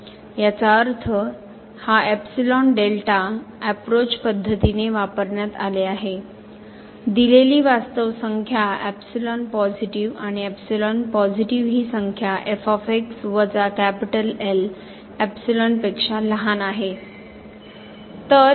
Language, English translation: Marathi, It was defined using this epsilon delta approach that means, if for a given real number epsilon positive, we can find a real number delta positive such that minus less than epsilon